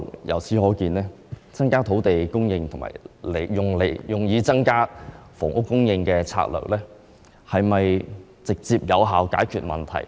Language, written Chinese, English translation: Cantonese, 由此可見，透過增加土地供應來增加房屋供應的策略，能否直接有效解決問題呢？, From this we can see that regarding the strategy of increasing land supply to increase housing supply can it be a direct and effective solution to the problem?